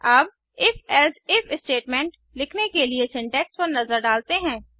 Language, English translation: Hindi, Now Let us look at the syntax for writing If…Else If statement